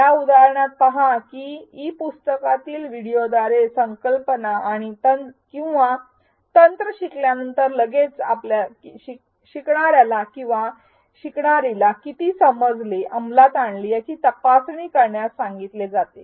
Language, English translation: Marathi, See in this example that immediately after learning a concept or technique through the video within the e book, the learner is asked to check his or her understanding and apply it